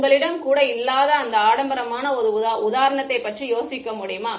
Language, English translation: Tamil, Can you think of an example where you do not even have that luxury